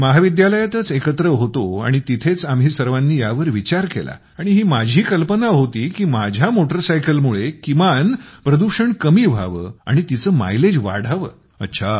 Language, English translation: Marathi, And in college we thought about all of this and it was my idea that I should at least reduce the pollution of my motorcycle and increase the mileage